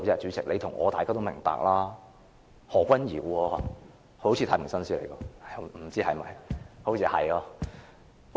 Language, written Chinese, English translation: Cantonese, 主席，你和我及大家也明白，是何君堯議員，他好像是太平紳士，是嗎？, President you and I both understand this very well . As I can recall someone like Dr Junius HO is a justice of the peace right?